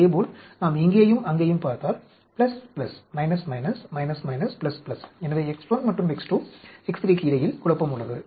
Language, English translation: Tamil, Similarly, if we look here and there plus plus, minus minus, minus minus, plus plus, so there is a confounding between X 1 and X 2, X 3